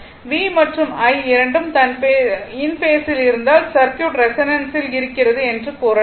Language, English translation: Tamil, When V and I both are in phase a circuit can be said that is in resonance right